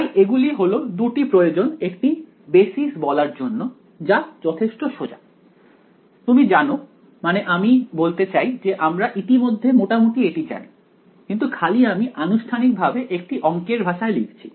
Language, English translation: Bengali, So, these are the two requirements to be called a basis fairly simple stuff, you know I mean we already sort of know this, but we are just formally put into the language of math